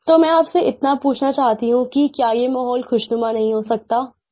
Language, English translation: Hindi, So I just want to ask you this, can't this be transformed into a pleasant atmosphere